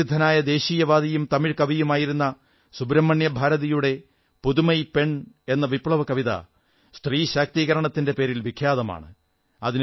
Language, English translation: Malayalam, Renowned nationalist and Tamil poet Subramanya Bharati is well known for his revolutionary poem Pudhumai Penn or New woman and is renowned for his efforts for Women empowerment